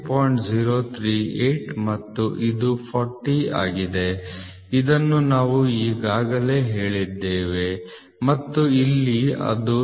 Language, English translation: Kannada, 038 and this is 40 which we have already told and here it is going to be 39